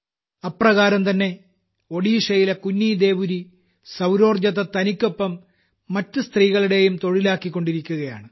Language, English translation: Malayalam, Similarly, KunniDeori, a daughter from Odisha, is making solar energy a medium of employment for her as well as for other women